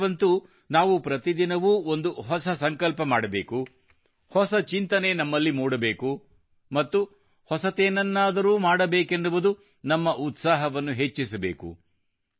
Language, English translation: Kannada, This year we have to make new resolutions every day, think new, and bolster our spirit to do something new